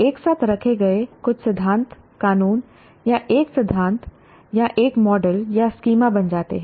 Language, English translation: Hindi, Some principles put together becomes loss or a theory or a model or a schema